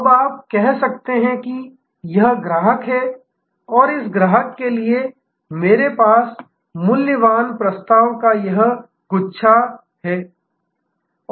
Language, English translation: Hindi, Now, you can say, this is the customer and for this customer, I have this bunch of value proposition